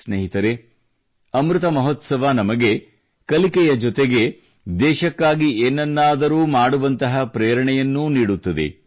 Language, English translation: Kannada, Friends, the Amrit Mahotsav, along with learning, also inspires us to do something for the country